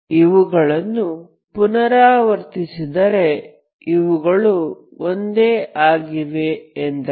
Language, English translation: Kannada, If they are repeated that means they are same